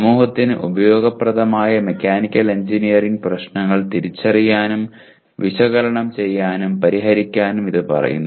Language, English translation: Malayalam, And it says identify, analyze and solve mechanical engineering problems useful to the society